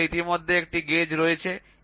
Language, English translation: Bengali, So, you already have a gauge